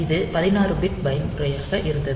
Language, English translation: Tamil, So, that was a 16 bit mode